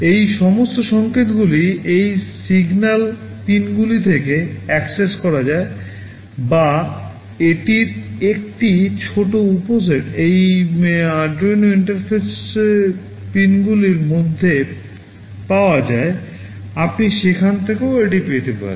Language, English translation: Bengali, All these signals can be accessed either from these signal pins, or a small subset of that is available over these Arduino interface pins, you can also avail it from there